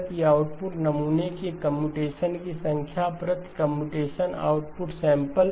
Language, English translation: Hindi, So number of computations per output sample, computations per output sample